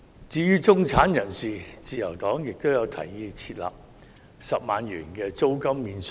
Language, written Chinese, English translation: Cantonese, 至於中產人士，自由黨也提議設立10萬元租金免稅額。, Insofar as the middle class is concerned the Liberal Party has proposed to introduce a tax allowance of 100,000 for rentals